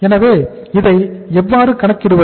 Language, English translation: Tamil, So this is, how to calculate this